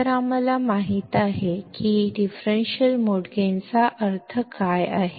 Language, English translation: Marathi, So, now, we know what do you mean by differential mode gain